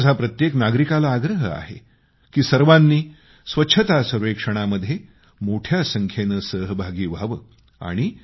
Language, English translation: Marathi, And I appeal to every citizen to actively participate in the Cleanliness Survey to be undertaken in the coming days